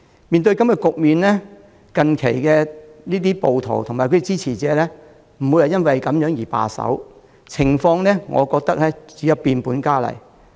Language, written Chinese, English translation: Cantonese, 面對這種局面，暴徒及其支持者並不會因此而罷手，我認為情況只會變本加厲。, The rioters and their supporters are not going to call it quits in view of this situation . I believe it will only get worse